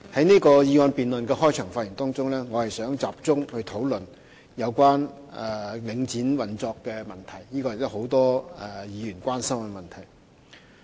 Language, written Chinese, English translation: Cantonese, 在此議案辯論的開場發言中，我想集中討論有關領展房地產投資信託基金運作的問題。, In this opening remarks of the motion debate I would like to focus on the operation of Link Real Estate Investment Trust Link REIT which is a matter of concern to many Members